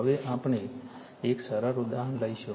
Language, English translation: Gujarati, Now, we will take a simple example right